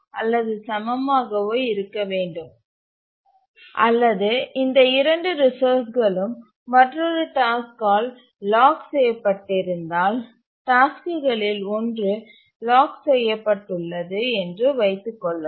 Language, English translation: Tamil, And let's assume that one of the tasks is locked by one of the resources is locked by another task or both the resources are locked by other task and then let's assume that this task requires the first resource